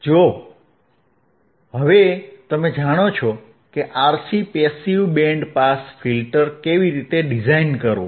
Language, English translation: Gujarati, So now you know how to design a RC passive band pass filter, right